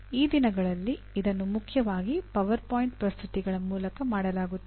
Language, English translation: Kannada, These days it is mainly through PowerPoint presentations